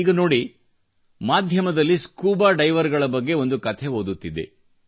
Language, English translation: Kannada, Just the other day, I was reading a story in the media on scuba divers